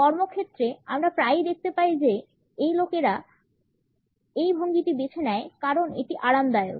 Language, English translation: Bengali, In the work place, we often find people opting for this posture because it happens to be a comfortable one